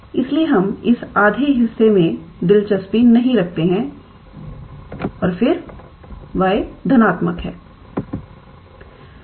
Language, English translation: Hindi, So, we are not interested in this half and then y is positive